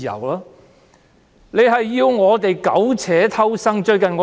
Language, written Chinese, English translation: Cantonese, 他們要我們苟且偷生。, They want us to continue our lives in ignoble existence